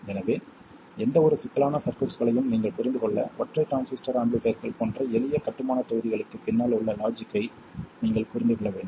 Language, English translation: Tamil, So, in order for you to make sense of any complicated circuitry, you have to understand the logic behind the simple building blocks such as single transistor amplifiers